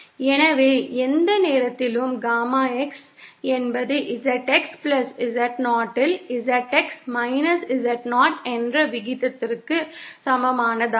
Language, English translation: Tamil, So, Gamma X at any point is simple equal to the ratio of ZX Z0 upon ZX+ Z0